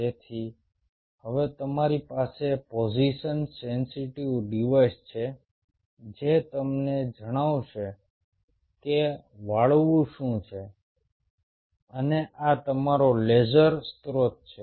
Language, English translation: Gujarati, so now you have a position sensitive device which will tell you what is the bend and this is your laser source